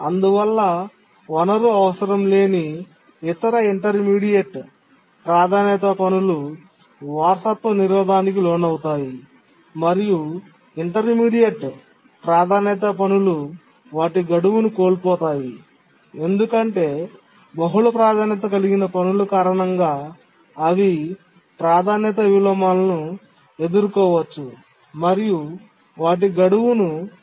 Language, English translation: Telugu, Since the priority value of a low priority task, as soon as it acquires a resource is raised to a high value, the other intermediate priority tasks which don't need the resource undergo inheritance blocking and the intermediate priority tasks can miss their deadline because for multiple lower priority tasks they may face inversions, priority inversions and they may miss their deadline